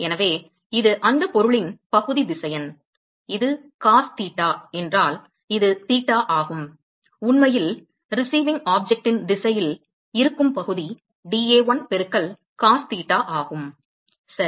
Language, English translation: Tamil, So this is the area vector of that object, and if this is cos theta, this is theta then the area that is actually in the direction of the receiving object is dA1 into cos theta right